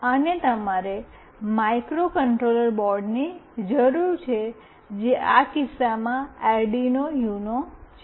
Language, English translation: Gujarati, And you need a microcontroller board, which in this case is Arduino Uno